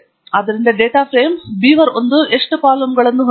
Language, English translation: Kannada, So how many columns does the data frame beaver1 have